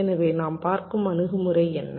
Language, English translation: Tamil, so what is the approach we are looking at